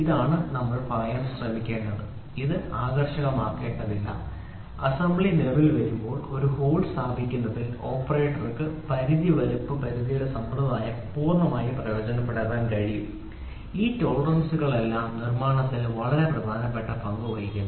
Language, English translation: Malayalam, So, this is what we are trying to say, it can be uniform it need not be uniform, the operator can take full advantage of the limit size limits system especially in positioning a hole when assembly comes into existence all these tolerances play a very important role in manufacturing